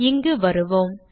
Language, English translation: Tamil, Let me come here